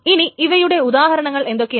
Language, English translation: Malayalam, So these are the examples of this thing